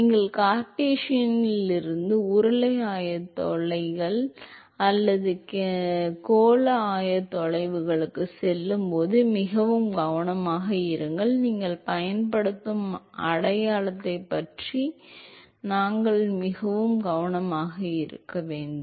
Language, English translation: Tamil, Be very careful when you go from Cartesian to cylindrical coordinates or spherical coordinates, we should always be very careful about the sign that you use